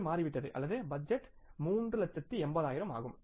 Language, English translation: Tamil, This has become or the budgeted was 3,000000s